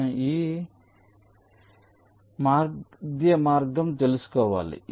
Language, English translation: Telugu, so i have to find out path between this and this